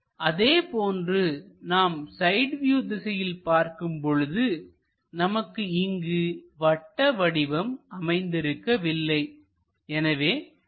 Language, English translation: Tamil, Similarly, when we are looking from side view here we do not see anything like circle